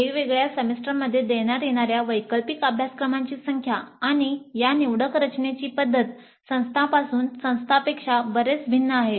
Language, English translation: Marathi, The number of elective courses offered in different semesters and the way these electives are structured vary considerably from institute to institute